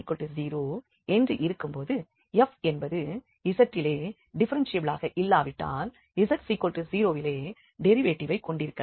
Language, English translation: Tamil, So, f is not differentiable at z, if z is not equal to 0, but may have derivative at z equal to 0